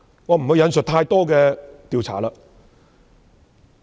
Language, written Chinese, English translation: Cantonese, 我不會引述太多調查。, Many surveys have been conducted